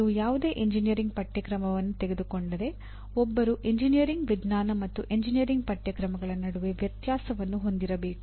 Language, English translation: Kannada, If you take any engineering course, one must differentiate also differences between engineering science and engineering courses